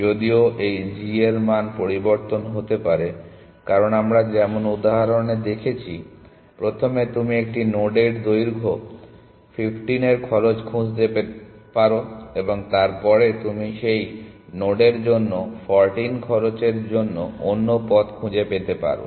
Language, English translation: Bengali, Whereas, this g value may change, why because you as we saw in the example first you may find the cost of length 15 to a node and then you may find another paths of cost 14 to that node